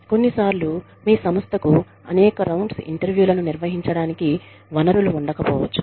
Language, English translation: Telugu, Sometimes, your organization may not have the resources, to conduct several layers of interviews